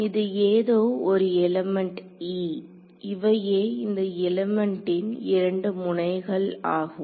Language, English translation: Tamil, So, this is some element e, these are the two nodes of this element over here ok